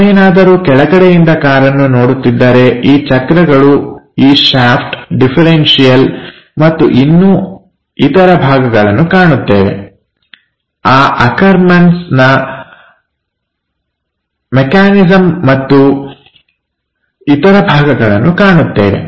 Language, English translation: Kannada, So, if you are looking from bottom side, the wheels, the shaft, differential and many other things we will see that, the Ackerman's mechanism and other things